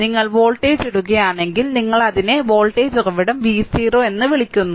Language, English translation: Malayalam, If you put your voltage, your what you call that your voltage source V 0 right